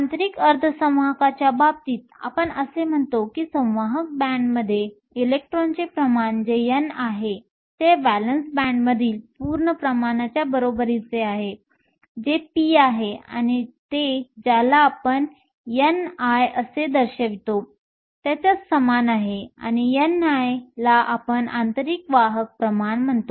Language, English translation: Marathi, In the case of an intrinsic semiconductor, we say that the electron concentration in the conduction band that is n is equal to the whole concentration in the valance band that is p, and it is equal to something which we denote as n i, and n i we call the intrinsic carrier concentration